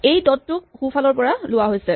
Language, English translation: Assamese, So, this dot is taken from the right